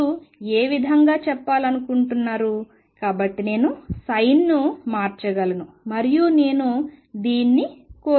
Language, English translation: Telugu, Depending on which way do you want to saying so I can just change the sin and I would like this